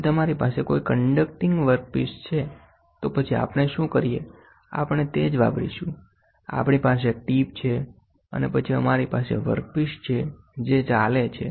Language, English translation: Gujarati, If you have a conducting work piece so, then what we do is, we use the same, we have a tip and then we have a work piece which goes